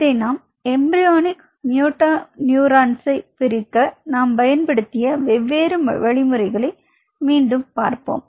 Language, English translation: Tamil, So, coming back when we talk to you about separation of embryonic motoneurons